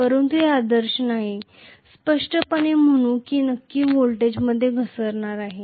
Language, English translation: Marathi, But it is not ideal, clearly so I am going to have definitely a fall in the voltage